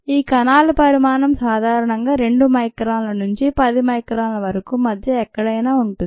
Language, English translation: Telugu, the size of these cells are, ah, anywhere between thats, a two microns to ten microns